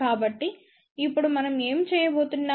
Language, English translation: Telugu, So, now, what we are going to do